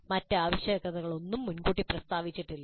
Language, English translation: Malayalam, No other requirements are stated upfront